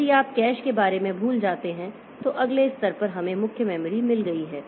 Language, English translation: Hindi, If you forget about this cache at the next level we have got main memory